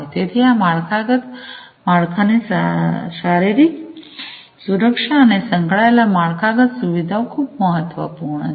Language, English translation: Gujarati, So, security the physical security of these infrastructure the frameworks, and the associated infrastructure are very important